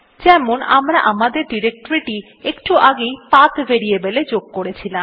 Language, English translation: Bengali, Like we had just added our directory to the PATH variable